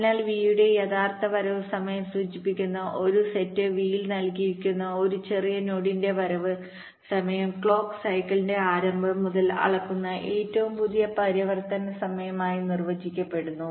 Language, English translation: Malayalam, so the arrival time of a given node, small v, that belongs to a set v, which is denoted as actual arrival time of v, is defined as the latest transition time at that point, measuring from the beginning of the clock cycle